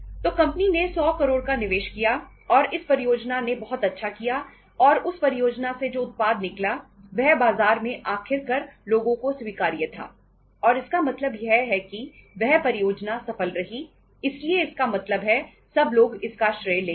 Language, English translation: Hindi, So company invested 100 crores and the project did very well and the product which came out of that project was uh finally acceptable to the people in the market and means finally the project is successful so it means everybody will take the credit